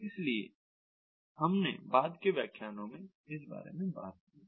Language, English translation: Hindi, so we have really talk about that in the subsequent lectures